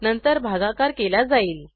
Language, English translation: Marathi, Then division is performed